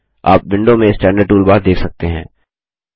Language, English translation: Hindi, You can see the Standard toolbar on the window